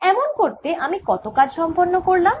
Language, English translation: Bengali, how much work have i done doing so